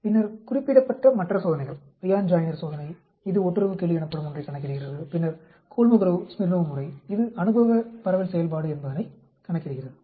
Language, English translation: Tamil, And then the other tests which is mentioned the Ryan Joiner test which calculates something called a correlation coefficient, then Kolmogorov Smirnov method which something calls empirical distribution function